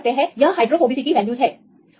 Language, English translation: Hindi, So, you can see the; this is the hydrophobicity values